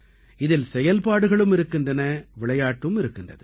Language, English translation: Tamil, In this, there are activities too and games as well